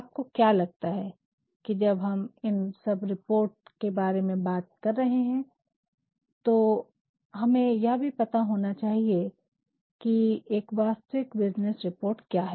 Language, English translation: Hindi, Do not you think, that when we have been talking a lot about thesereports we should also know, what are the typical business reports